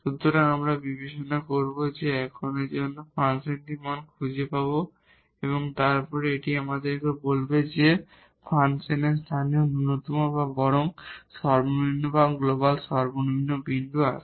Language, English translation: Bengali, So, we will consider, now for this we will find the value of the function and then that will tell us whether the function has the local minimum or the rather minimum or the global minimum at this point